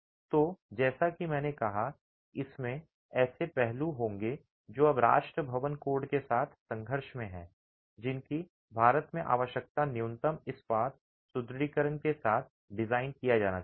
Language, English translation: Hindi, So, this as I said, will have aspects that are now in conflict with the National Building Code, which requires that in India you should be designing with minimum steel reinforcement